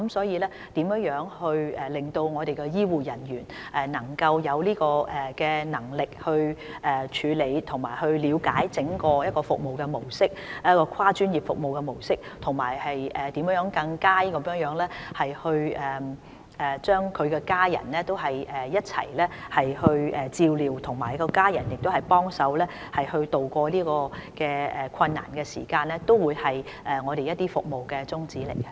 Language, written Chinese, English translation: Cantonese, 因此，如何令醫護人員有能力去處理，以及了解整個跨專業的服務模式，以及如何更好地一併照顧病人及家屬，同時讓病人的家屬協助病人渡過這段困難的時間，這些都是我們的服務宗旨。, Therefore the mission of our services is to equip health care personnel with the competence to handle such cases to understand the service model of providing multi - disciplinary services in its entirety and to provide better care for patients and their family members while enabling family members of the patients to assist the patients in going through this difficult time